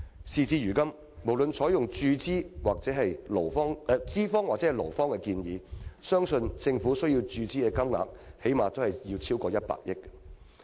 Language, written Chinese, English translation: Cantonese, 事到如今，無論是採用資方或勞方的建議，相信政府需要注資的金額最低限度超過100億元。, Judging from the discussion so far the Governments financial commitment would be over 10 billion to say the least regardless of whether it is the employers or the employees proposal that would be implemented eventually